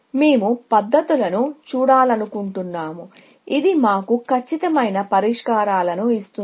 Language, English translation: Telugu, We want to look at methods, which will give us exact solutions